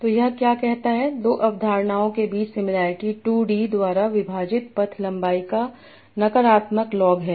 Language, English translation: Hindi, So what it says the similarity between two concepts is minus log of path length divided by 2D